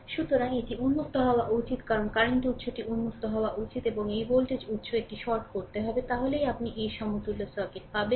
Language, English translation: Bengali, So, this should be open because, current source should be open and this voltage source it has to be shorted; it has to be shorted